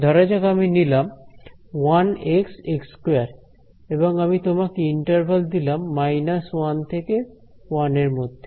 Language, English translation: Bengali, So, supposing I take 1 x x squared and I give you the interval of minus 1 to 1